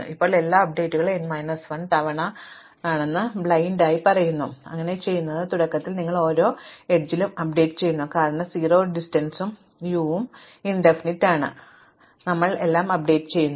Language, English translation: Malayalam, Now, we just blindly do every updates n minus 1 times, so what you do is initially you update for every edge given the fact that s has distances 0 and u is infinity otherwise, then we update everything